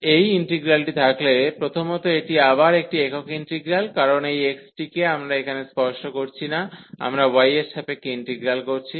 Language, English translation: Bengali, So, having this integral first this again a single integral, because this x we are not touching here, we are integrating with respect to y